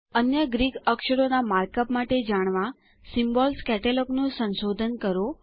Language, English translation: Gujarati, Explore the Symbols Catalog to know the mark up for other Greek characters